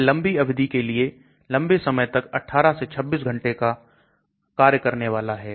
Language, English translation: Hindi, It is a long duration long action so it is 18 to 26 hours